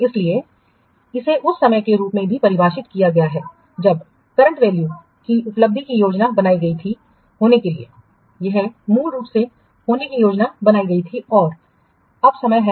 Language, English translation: Hindi, So, it is defined at the time when the achievement of the current value was planned to occur, it was originally planned to occur and the time now